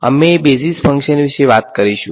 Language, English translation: Gujarati, So, we will talk about basis functions